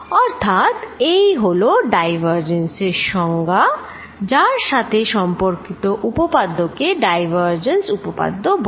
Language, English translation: Bengali, So, that is the definition of divergence with this definition of divergence there is related theorem and that is called divergence theorem